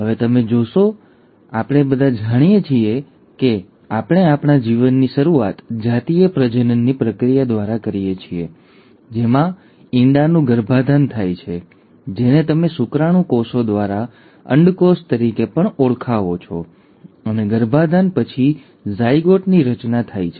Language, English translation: Gujarati, Now you would notice and we all know this that we start our life through the process of sexual reproduction, wherein there is fertilization of the egg, which is also what you call as the ovum by the sperm cells, and it is after fertilization that there is a formation of a zygote